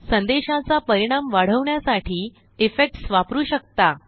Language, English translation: Marathi, Effects can be used to enhance the impact of a message